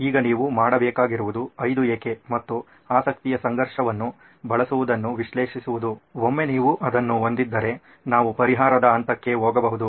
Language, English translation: Kannada, So now what you had to do was to analyze using 5 why’s and the conflict of interest, once you have that then we can jump into the solved stage